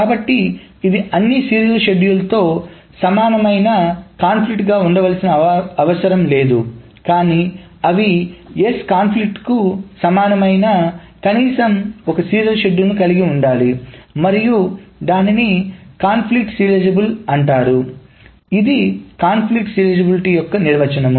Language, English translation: Telugu, So it does not need to be conflict equivalent to all the serial schedules, but there must exist at least one serial schedule that S is conflict equivalent to and then it is called conflict serializable